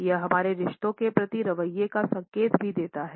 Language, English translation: Hindi, It also indicates our attitudes towards relationships